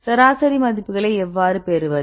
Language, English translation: Tamil, How to get the average property values